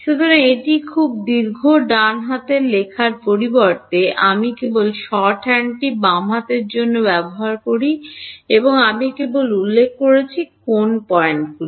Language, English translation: Bengali, So, instead of writing this very long right hand side, I just use this shorthand for the left hand side I just mention which are the points